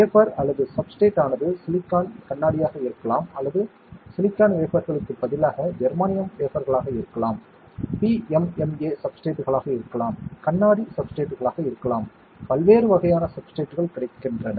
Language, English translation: Tamil, The wafer or the substrate may be silicon, glass or it can be instead of silicon wafer it can be a germanium wafer, it can be a PMMA substrate, it can be glass substrate lot of different varieties of substrates are available